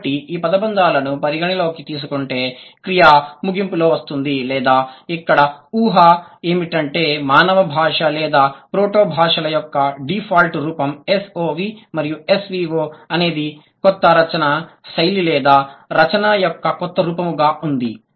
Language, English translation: Telugu, So, considering these phrases they have the verb ending, the deduction is that or the assumption is that the human language or the proto languages, the default form was S O V and S V O is a new style of writing or the new form of writing